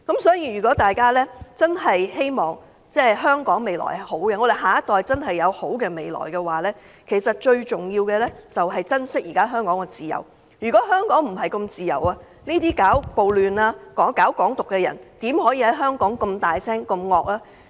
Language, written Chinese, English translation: Cantonese, 所以，如果大家希望香港未來良好，下一代真的有好的未來，其實最重要的是珍惜香港現時的自由，如果香港並非那麼自由，這些搞暴亂、搞"港獨"的人怎可以在香港這麼大聲、這麼兇惡？, Hence if we want a bright future for Hong Kong and a bright future for our next generation the key is to treasure the freedom that we now enjoy in Hong Kong . If Hong Kong is not such a free place how could the rioters and the people who advocate Hong Kong independence be so loud and fierce?